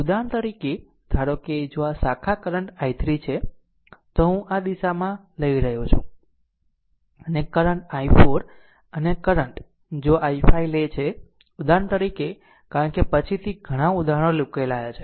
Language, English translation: Gujarati, For example suppose if this branch current is i 3 see I am taking in this direction, and this current say i 4 right and this this current say if we take i 5 for example, right because later because so, many examples we have solved